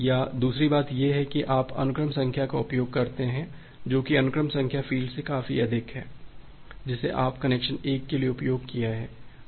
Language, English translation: Hindi, Or the second thing is that you use the sequence number which is high enough from the sequence number field that you have used for the connection 1